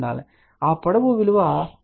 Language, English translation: Telugu, So, that length is 0